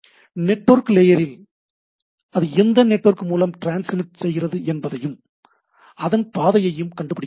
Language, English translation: Tamil, So, it network layer means, it can see this by which network it transmits and find out the path